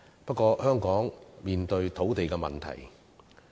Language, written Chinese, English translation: Cantonese, 不過，香港現正面對土地問題。, However Hong Kong is now facing land problem